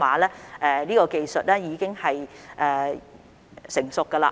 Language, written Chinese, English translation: Cantonese, 這方面的技術已經成熟。, Such technique is pretty mature now